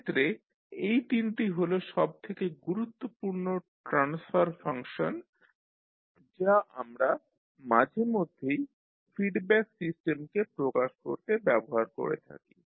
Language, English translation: Bengali, So these three are the most important transfer functions which we use frequently to represent the feedback system